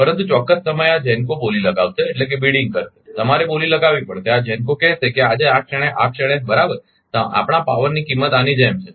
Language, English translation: Gujarati, But at particular time this GENCO will have bidding you have to go for bidding, this GENCO will tell that today at this at this moment right, we will cost of the power is like this